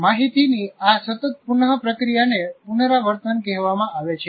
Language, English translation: Gujarati, So this continuous reprocessing of information is called rehearsal